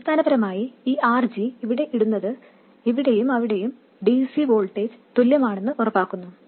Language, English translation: Malayalam, Essentially this RG putting it here, make sure that the DC voltage here and there are the same